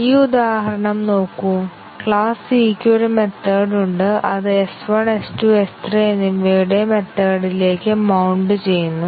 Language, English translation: Malayalam, Just look at this example, where the class c has a method which gets a mount to method of S1, S2 and S3